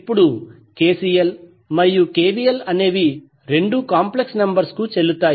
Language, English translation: Telugu, Now, since KCL and KVL, both are valid for complex number